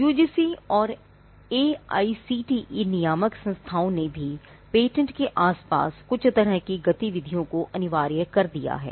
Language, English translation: Hindi, The UGC and the AICTE regulatory bodies have also mandated some kind of activity around patents for instance